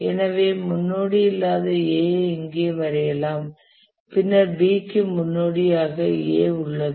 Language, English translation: Tamil, So we can draw A here which has no predecessor and then we have B has A as the predecessor